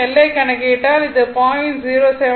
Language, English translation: Tamil, If, you calculate this L will become 0